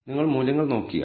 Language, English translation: Malayalam, If you look at the values